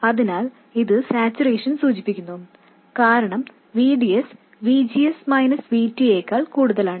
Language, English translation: Malayalam, So, this implies saturation because VDS is more than VGS minus VT